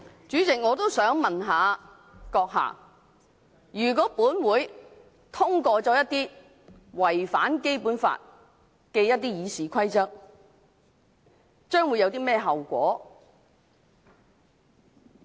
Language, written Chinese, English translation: Cantonese, 主席，我也想問你閣下，如果立法會通過了一些違反《基本法》的《議事規則》議案，將會有甚麼後果？, President I also wish to ask you a question . What are the consequences if Legislative Council passes certain RoP motions in contravention of the Basic Law?